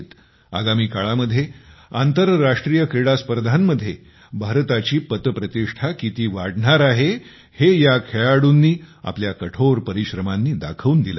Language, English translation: Marathi, With their hard work, these players have proven how much India's prestige is going to rise in international sports arena in the coming times